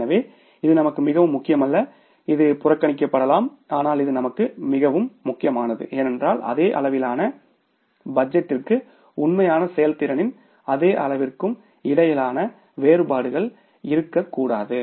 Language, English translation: Tamil, It can be ignored also but this is very important for us because the variance between the same level of budget and same level of the actual performance should not be there